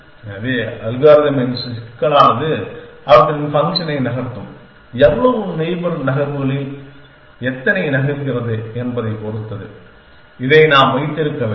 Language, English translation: Tamil, So, the complexity of the algorithm will also move them function will depend on how many in move how many in neighbors, we have will have to keep this